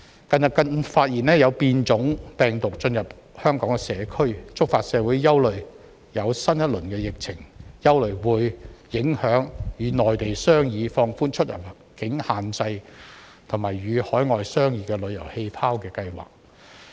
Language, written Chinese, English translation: Cantonese, 近日更發現有變種病毒進入香港社區，觸發社會憂慮新一輪疫情會否影響與內地商議放寬出入境限制，以及與海外商議旅遊氣泡的計劃。, Recently it has been discovered that variants of the virus have entered the Hong Kong community triggering worries in society about whether the new round of the epidemic will affect plans to negotiate with the Mainland and overseas countries on relaxing immigration restrictions and making travel bubble arrangement respectively